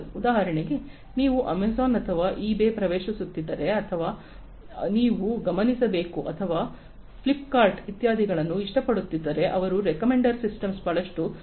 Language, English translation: Kannada, For example, if you are getting into Amazon or eBay or something you must have observed or even like Flipkart, etcetera they use recommender systems a lot